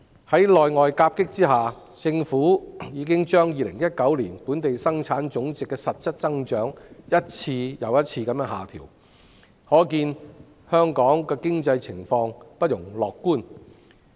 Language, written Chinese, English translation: Cantonese, 在內外夾擊下，政府已經將2019年本地生產總值的實質增長一再下調，可見本港經濟情況不容樂觀。, Faced with dual attacks from both the domestic and the foreign fronts the Government has downwardly adjusted the real growth in gross domestic product for 2019 repeatedly signalling a gloomy economic outlook in Hong Kong